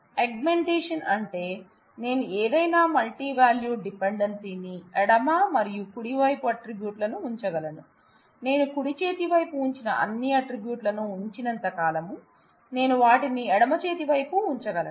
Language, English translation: Telugu, Augmentation that is I can augment any multivalued dependency with left and putting attributes on the left and right hand side, as long as I put all attributes that I put on the right hand side, I put them on the left hand side